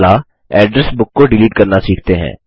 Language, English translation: Hindi, Next, lets learn to delete an Address Book